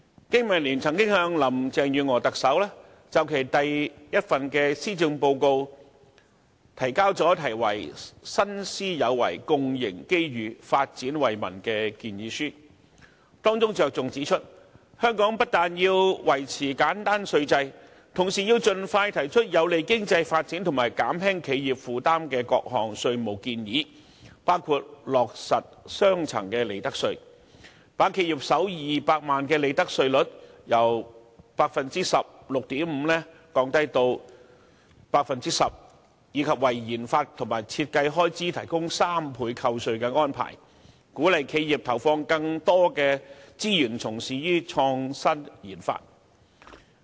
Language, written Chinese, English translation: Cantonese, 經民聯曾就特首林鄭月娥的第一份施政報告提交題為"新思有為，共迎機遇，發展惠民"的建議書，當中重點指出，香港不但要維持簡單稅制，同時要盡快提出有利經濟發展及減輕企業負擔的各項稅務建議，包括落實利得稅兩級制，把企業首200萬元利潤的利得稅率由 16.5% 降低至 10%， 以及為研發和設計開支提供3倍扣稅的安排，鼓勵企業投放更多資源從事創新研發。, In respect of Chief Executive Carrie LAMs first policy address BPA submitted a proposal entitled A new mindset to meet development opportunities for the benefit of the people . It is specifically pointed out in the proposal that Hong Kong not only has to maintain a simple tax regime but also has put forward tax proposals that would promote economic growth and lighten the burdens of enterprises . It is proposed that a two - tiered regime should be implemented which lowers the profits tax rate for the first 2 million of profits of enterprises from 16.5 % to 10 % and a 300 % tax deduction be given for expenditure on research and development RD and design so as to encourage enterprises to allocate more resources for innovation and RD